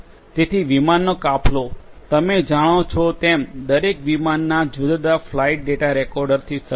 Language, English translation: Gujarati, So, you know aircraft fleet; aircraft fleet each aircraft as you know is equipped with different flight data recorders